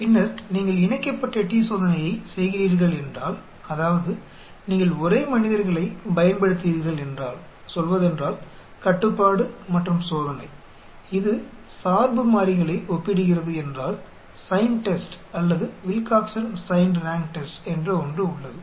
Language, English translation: Tamil, Then if you are doing the Paired t Test that means you are using the same subjects for say, control and test it is comparing dependent variables there is something called Sign Test or Wilcoxon Signed Rank Test